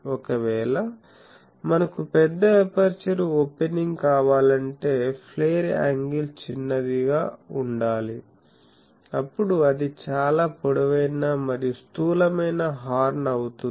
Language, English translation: Telugu, So, if we want to have a large aperture opening the flare angle will be small resulting in a very long and bulky horn